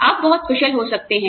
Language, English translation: Hindi, You may be very skilled